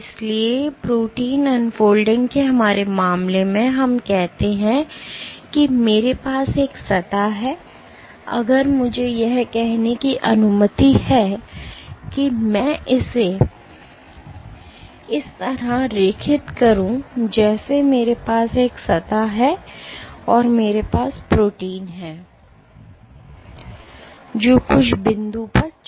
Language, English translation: Hindi, So, in our case of protein unfolding, let us say I have a surface, if I were to let us say I draw it like this I have a surface and I have the protein which is anchored at some point